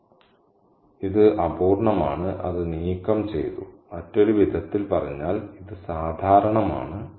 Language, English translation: Malayalam, So, it's incomplete, it's workaday, in other words, it is ordinary